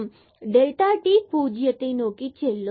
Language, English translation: Tamil, So, this when delta x and delta y goes to 0